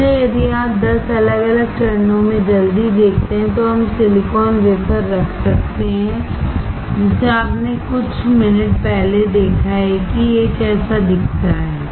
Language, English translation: Hindi, So, if you see quickly in 10 different steps, we can we can have silicon wafer which you have just seen before few minutes right how it looks like